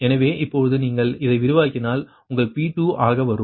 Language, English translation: Tamil, now you expand, right, if you expand, then your say: this is your pi